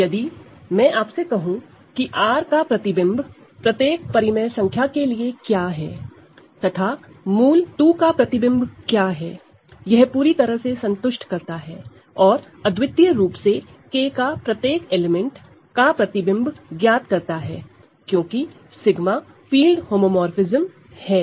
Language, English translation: Hindi, So, if I tell you what the image of R is for every rational number R, and what image of root 2 is it suffices to completely and uniquely determine what the image of every element of K is, because sigma is a field homomorphism